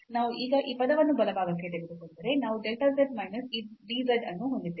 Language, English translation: Kannada, So, we will get this dz term as 0, and then this limit delta z over dz over delta rho